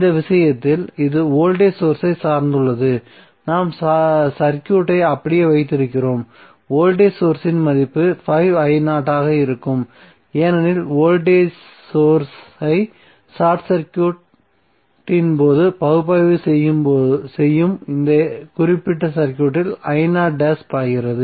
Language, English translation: Tamil, So in this case this is depended voltage source so we keep intact with the circuit, the value of the voltage source will be 5i0 dash because right now i0 dash is flowing in this particular circuit